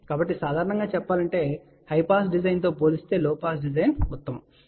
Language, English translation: Telugu, So, generally speaking, low pass design is preferable compared to high pass design